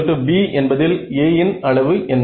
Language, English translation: Tamil, My Ax is equal to b what is the size of A